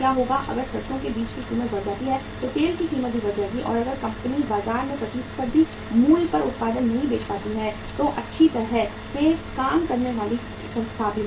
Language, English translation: Hindi, If the mustard seed price goes up oil price will also go up and if the company is not able to sell the product at the competitive price in the market the well functioning organization will be sick